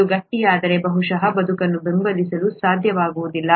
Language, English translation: Kannada, If it solidifies probably it won’t be able to support life